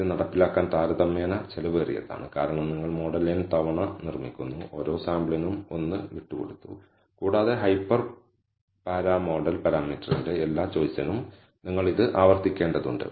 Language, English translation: Malayalam, It is comparatively expensive to implement because you are building the model n times, one for each sample being left out and you have to repeat this for all choice of the hyper para model parameter